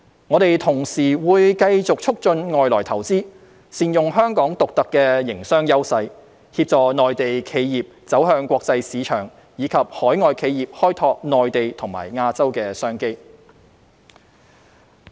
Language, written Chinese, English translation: Cantonese, 我們同時會繼續促進外來投資，善用香港獨特的營商優勢，協助內地企業走向國際市場，以及海外企業開拓內地和亞洲的商機。, We will at the same time continue to promote inward investment make good use of Hong Kongs unique business advantages to assist Mainland enterprises to go global and enable overseas enterprises to explore business opportunities in the Mainland and Asia